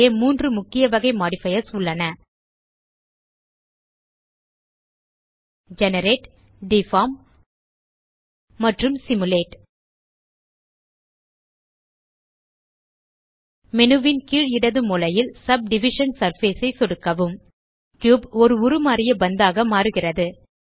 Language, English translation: Tamil, Here are three main types of modifiers Generate, Deform and Simulate Left click Subdivision surface at the bottom left corner of the menu